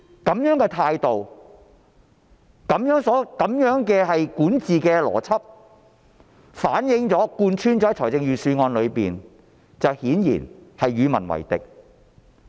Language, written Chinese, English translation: Cantonese, 這樣的態度及管治邏輯反映於預算案中並貫穿其中，顯然是與民為敵。, This mentality and governance logic which definitely go against the people are reflected in the entire Budget